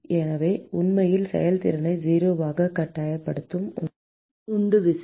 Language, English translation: Tamil, So, the driving force which is actually forcing the efficiency to be 0